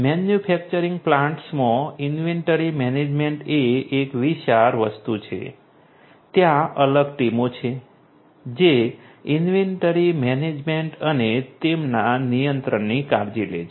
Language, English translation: Gujarati, Inventory management is a huge thing in manufacturing plants is a huge thing there are separate teams which take care of inventory management and their control